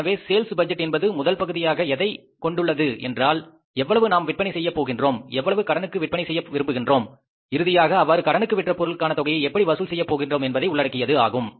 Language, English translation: Tamil, So, sales budget has the first part of the budgeting, that is how much we want to sell and how much we want to sell on cash, how much we want to sell on credit, and finally, how you are going to collect those sales which are sold on credit